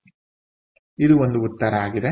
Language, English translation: Kannada, so this is one answer